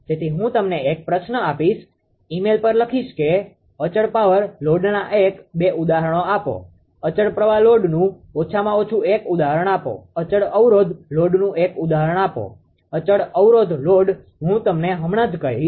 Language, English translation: Gujarati, So, I will I will put a question to you and you will write to email give one or two examples of constant power load, give one at least one example of constant current load and give one example of constant impedance load of course, constant impedance load I will tell you here right